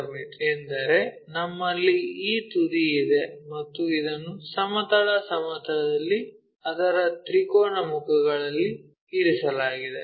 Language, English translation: Kannada, Pyramid means we have this apex or vertex and it is placed on one of its triangular faces on horizontal plane